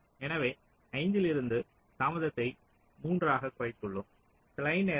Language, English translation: Tamil, so from five we have reduced the delay to three